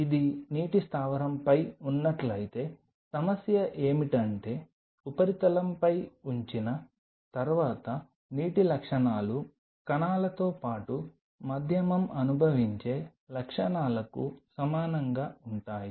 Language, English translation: Telugu, If it is on a water base the problem is this the properties of the water upon putting on the substrate will be similar to the properties which will be experienced by the medium along with the cells